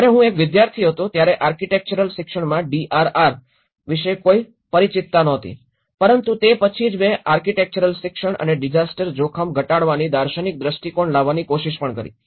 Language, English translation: Gujarati, When I was a student there was not familiarity about the DRR in the architectural education but then this is where I also tried to bring the philosophical perspectives of architectural education and the disaster risk reduction